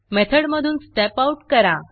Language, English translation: Marathi, Step Out of the method